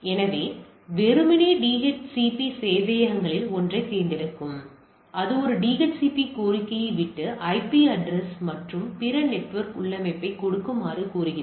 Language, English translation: Tamil, So, ideally DHCP things selects one of the server and it goes of a DHCP request, that requesting to give the IP address and other network configuration